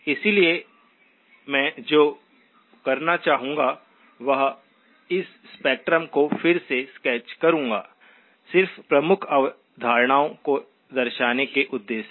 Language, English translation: Hindi, So what I would like to do is sketch this spectrum again, just for the purposes of illustrating the key concepts